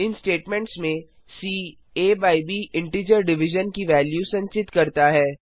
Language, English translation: Hindi, In these statements, c holds the value of integer division of a by b